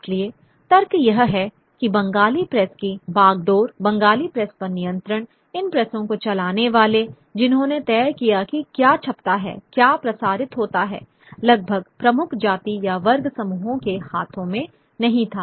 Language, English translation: Hindi, So, therefore, you know, the argument is that the reins of the Bengali press, the control over the Bengali press, the people who ran these presses, who decided what gets printed, what gets circulated, was not merely in the hands of the dominant caste class groups